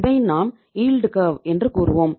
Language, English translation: Tamil, We call it as the yield curve